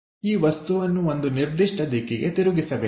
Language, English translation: Kannada, Turn this object into one particular thing